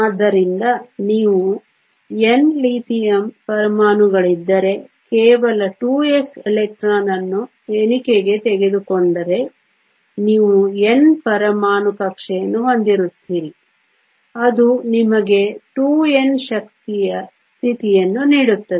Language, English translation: Kannada, So, if you N Lithium atoms, taking only the 2 s electron into a count you will have N atomic orbitalÕs which will give you 2N energy states